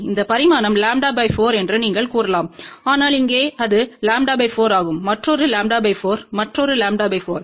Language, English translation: Tamil, You can say that this dimension is lambda by four, but here it is lambda by 4 another lambda by 4 another lambda by 4